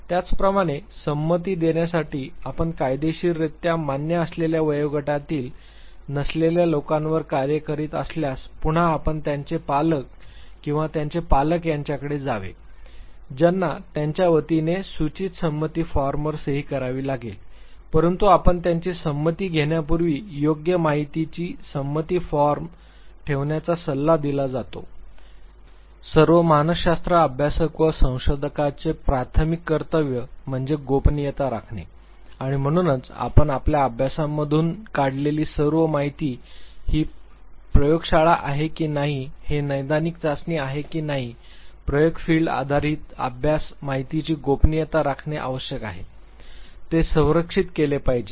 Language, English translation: Marathi, Similarly if you are working on people who are not of the legally acceptable age range to give consent then again you have to go for their parents or guardians who would know sign the informed consent form on their behalf, but before you take their consent on a proper informed consent form it is advisable not to conduct the study the primary obligation of all researcher, all psychologist is to maintain the confidentiality and therefore, all information that you derive out of your study whether it is a clinical trial whether it is a lab based experimentation, field based study, the confidentiality of the information has to be maintain, it has to be protected